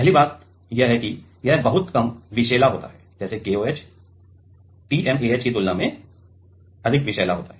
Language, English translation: Hindi, The first point is that; this is very much less toxic like KOH is more toxic than TMAH